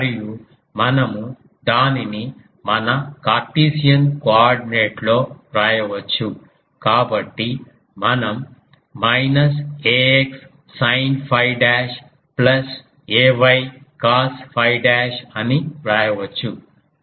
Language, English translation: Telugu, And we can write it in our Cartesian coordinate; so, that we can write as minus ax sin phi dash plus ay cos phi dash